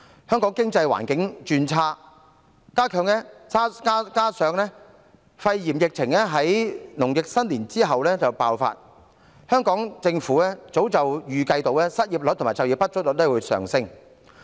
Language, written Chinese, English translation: Cantonese, 香港經濟環境轉差，加上肺炎疫情在農曆新年後爆發，香港政府早已預計失業率和就業不足率會上升。, Given the deterioration of the economic situation in Hong Kong coupled with the pneumonia outbreak after the Lunar New Year the Hong Kong Government had long expected an increase in the unemployment and underemployment rates